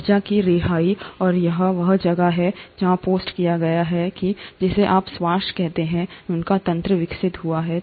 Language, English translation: Hindi, The release of energy, and that is where it is postulated that the mechanism of what you call today as respiration must have evolved